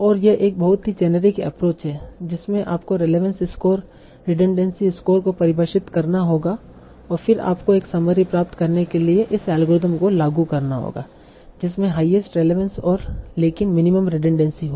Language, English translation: Hindi, You have to define your own relevance score, redundancy score, and then you can apply this algorithm to obtain a summary such that it has the highest relevance but minimum redundancy